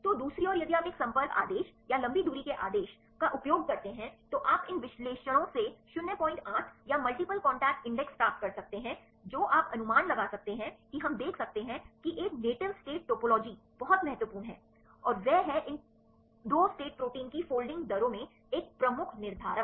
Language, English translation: Hindi, 8 or multiple contact index right these from these analysis what can you infer we can see that a native state topology is very important and that is a major determinants in the folding rates of these 2 state proteins ok